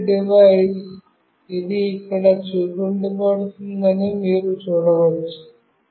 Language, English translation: Telugu, You can see that the pair device, it is showing up here